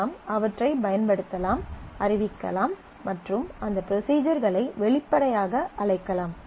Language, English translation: Tamil, And you can use them they can declare and call those procedures explicitly